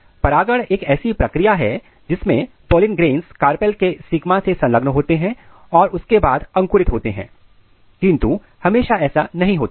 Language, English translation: Hindi, But the pollination is a process through which the pollen grains they get attached with the stigma of carpel and then they germinate, but it is not always the case